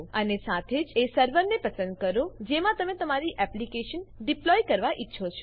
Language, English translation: Gujarati, And Select the server, you want to deploy your application to